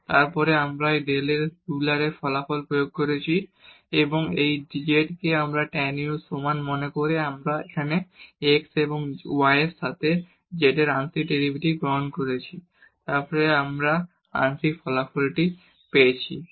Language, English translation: Bengali, And, then we have applied the Euler’s result on z and noting this z is equal to tan u, we have computed here partial derivatives of z with respect to x and y and then we get the desired result